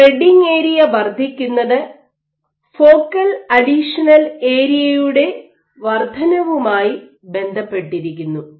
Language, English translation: Malayalam, So, because increasing spreading area is associated with increase in focal addition area